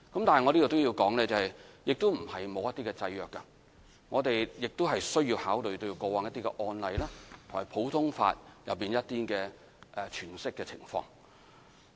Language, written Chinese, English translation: Cantonese, 但我要說明，定義不是沒有制約，我們需要考慮過往的案例和普通法的詮釋情況。, I however have to assert that the definition cannot be stretched for as much as we like since we have to take into consideration precedents and common law interpretation